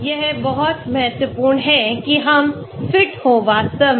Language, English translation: Hindi, So it is very, very important that we fit actually